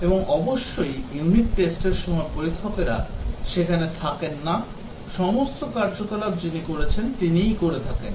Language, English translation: Bengali, And of course, during unit testing testers are not there all these activities are carried out by the developer himself